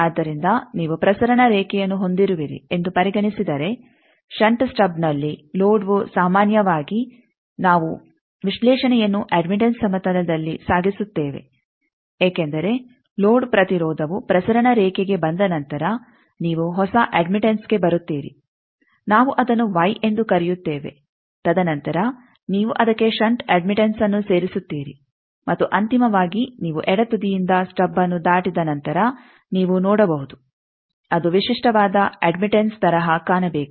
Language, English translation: Kannada, So, the load in case of shunt stub generally we carry the analysis in admittance plane because load impedance after coming to transmission line you come to a new admittance which we are calling Y and then you are adding the shunts admittance to that and then finally, after you cross the stub from the left end you can see it should look at a characteristic admittance